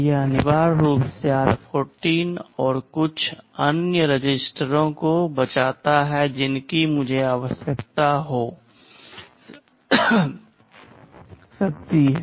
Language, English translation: Hindi, It essentially saves r14 and some other registers which I may be needing